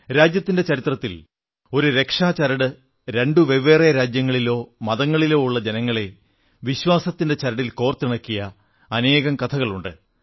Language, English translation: Malayalam, In the nation's history, there are innumerable accounts of this sacred thread, binding together people of distant lands, different religions, around a spindle of trust